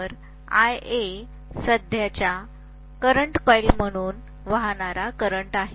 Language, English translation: Marathi, Whereas IA is the current that is flowing through the current coil